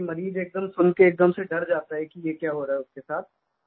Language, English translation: Hindi, Because the patient gets traumatized upon hearing what is happening with him